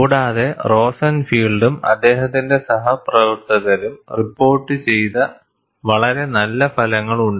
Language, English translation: Malayalam, And there is also a very nice set of results reported by Rosenfield and his co workers